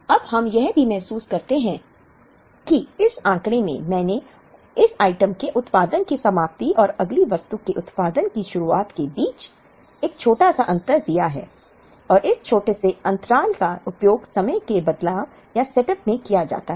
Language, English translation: Hindi, Now, we also realize that in this figure, I have given a small gap between the ending of production of this item and the beginning of production of the next item and this small gap that much amount of time is used in the changeover or the setup to make this item